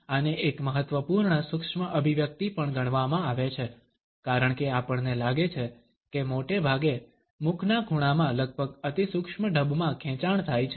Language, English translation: Gujarati, This is also considered to be an important micro expression because we find that often the twitch occurs in the corners of the mouth in almost an imperceptible manner